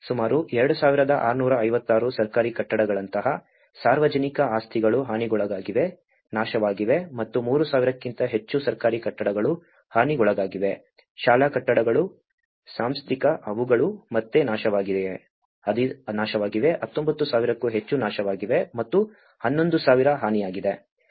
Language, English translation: Kannada, Public properties like government buildings about 2,656 have been damaged, destroyed and as well as government buildings which is above more than 3,000 have been damaged, school buildings, institutional they have been again destroyed more than 19,000 have been destroyed and 11,000 have been damaged